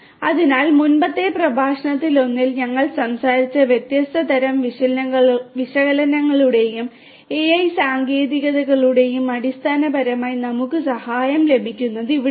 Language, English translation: Malayalam, So, this is where basically we can take help of the different types of analytics and AI techniques that we talked about in one of the previous lectures